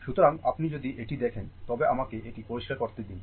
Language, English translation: Bengali, So, if you look into this, let me clear it